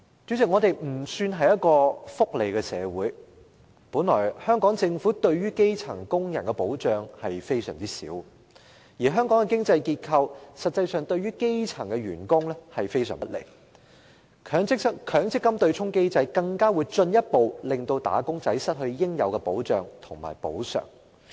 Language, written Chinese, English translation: Cantonese, 主席，香港算不上是福利社會，香港政府對基層工人的保障本來就很少，而香港的經濟結構實際上對基層員工也是非常不利，強積金對沖機制則進一步令"打工仔"失去應有的保障和補償。, President Hong Kong cannot be considered a welfare society . The protection for grass - roots workers by the Hong Kong Government has been little and in fact the local economic structure also puts grass - roots employees in a most unfavourable position . The MPF offsetting mechanism has further deprived wage earners of their due protection and compensation